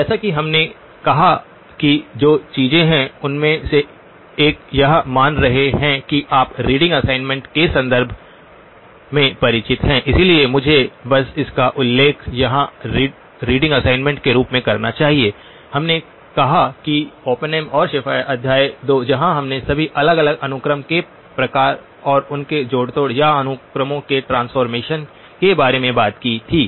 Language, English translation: Hindi, Just as we said that one of the things that I am we are assuming that you are familiar with in terms of the reading assignment, so let me just mention it here reading assignment we said Oppenheim and Schaffer chapter 2 where we talked about all the different types of sequences and their manipulations or transformations of sequences